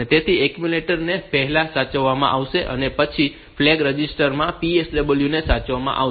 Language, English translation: Gujarati, So, the accumulator will be saved first, and then the PSW with in the flag register